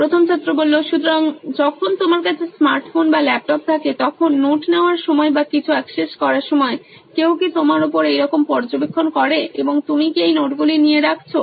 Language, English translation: Bengali, So when you have a smart phone or a laptop while taking notes or accessing something, is there anyone monitoring you like this is what has to be done and are you taking down like this notes